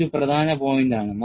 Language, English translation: Malayalam, That is a key point